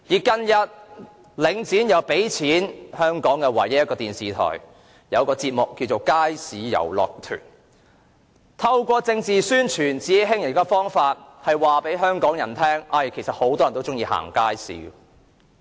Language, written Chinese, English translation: Cantonese, 近日，領展又贊助香港唯一一間電視台的一個節目，就是"街市遊樂團"，透過政治宣傳和自欺欺人的方法，試圖告訴香港人有很多人都喜歡逛街市。, Recently Link REIT sponsored a television programme filmed by the sole television station in Hong Kong titled Bazaar Carnivals . Link REIT is using political propaganda and self - deceiving methods to try to tell Hongkongers that many people like to shop at markets